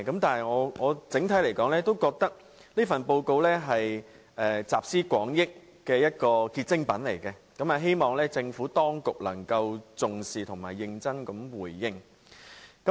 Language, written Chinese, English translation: Cantonese, 但是，整體來說，我覺得這份報告是一份集思廣益的結晶品，希望政府當局能夠重視和認真回應。, But generally speaking I think this is a report of collective wisdom which I hope the Administration can attach importance and respond seriously